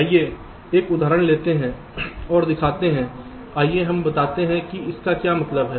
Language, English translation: Hindi, lets take an example and show, lets say what this means